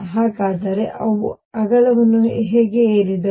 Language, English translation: Kannada, So, how did they climb up width